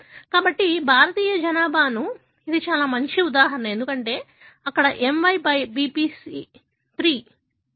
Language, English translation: Telugu, So, that is a very good example for Indian population, because there is a, there is a gene called MYBPC3